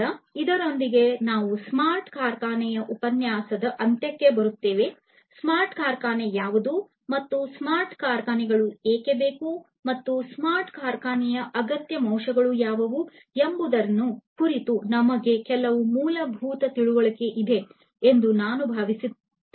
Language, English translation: Kannada, So, with this we come to an end of the lecture on smart factory, I hope that by now you have some basic understanding about what smart factory is, and why smart factories are required, and what are the essential constituents of a smart factory